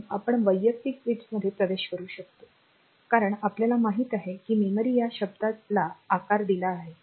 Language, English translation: Marathi, So, you can access individual bits as we know that the memory has got a word size